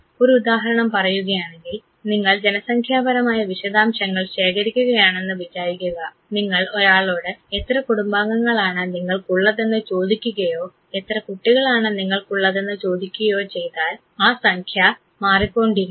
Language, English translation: Malayalam, Say for example, if you are collecting demographic details and you ask someone how many family remembers do you have or if you ask somebody how children you have; the number would vary and this would be basically discrete variable